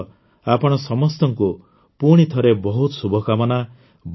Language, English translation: Odia, With this, once again many best wishes to all of you